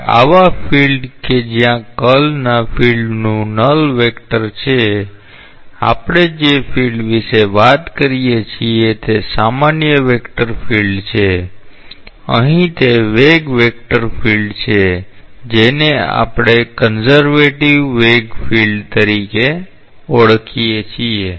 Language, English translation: Gujarati, Now, such a field where the curl of the field is null vector, the field what we talk about is a general vector field, here it is a velocity vector field we call it as a conservative velocity field